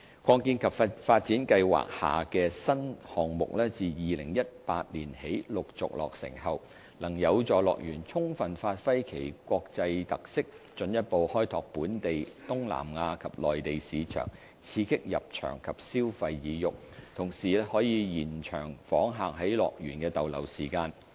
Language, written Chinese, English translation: Cantonese, 擴建及發展計劃下的新項目自2018年起陸續落成後，能有助樂園充分發揮其國際特色，進一步開拓本地、東南亞及內地市場，刺激入場及消費意欲，同時延長訪客在樂園的逗留時間。, The progressive launch of new offerings under the expansion and development plan from 2018 onwards will help HKDL give full play to its international features and further open up the local Southeast Asia and Mainland markets and thereby stimulating visitation and consumption desire as well as lengthening visitors stay in HKDL